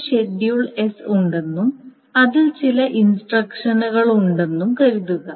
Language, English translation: Malayalam, So, suppose there is a Schedule S and then there are some instructions in it, of instructions